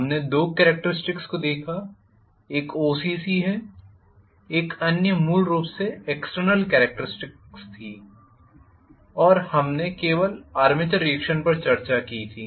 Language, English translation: Hindi, We looked at 2 characteristics, one is OCC, the other one was basically the external characteristics and I had just embarked on discussing armature reaction, right